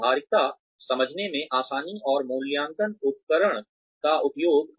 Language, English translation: Hindi, Practicality, ease of understandability, and use of appraisal instrument